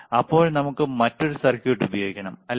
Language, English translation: Malayalam, Then we have to use another equip another circuit, right